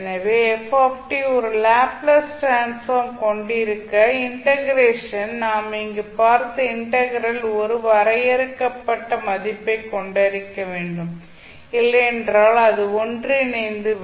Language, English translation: Tamil, So, in order for ft to have a Laplace transform, the integration, the integral what we saw here should be having a finite value or it will converge